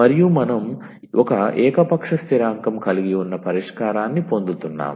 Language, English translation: Telugu, And we are getting the solution which is also having one arbitrary constant